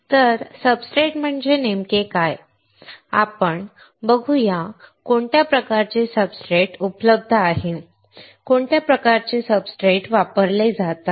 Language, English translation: Marathi, So, what exactly does a substrate means; we will learn in the series; what are the kind of substrates that are available, what are the kind of substrates that are used